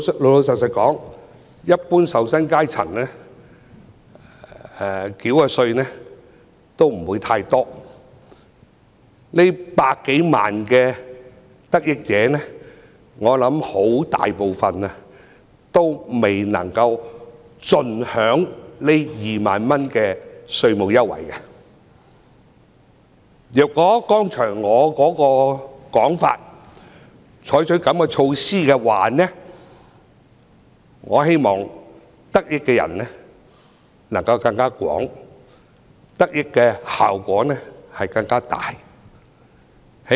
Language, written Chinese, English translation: Cantonese, 老實說，一般受薪階層繳交的稅款不會太多，這百多萬的得益者，我相信絕大部分均未能夠盡享這2萬元的稅務優惠，如果局長接納我剛才的說法，採取這樣的措施，得益的人便會更廣，得益的效果亦會更大。, Frankly an average wage - earner does not need to pay a large sum of tax . I believe the majority of the 1 million - odd tax reduction beneficiaries cannot fully enjoy the 20,000 tax reduction . If the Secretary agrees with my view expressed just now and take the measures concerned more people will be benefited and the effect will be greater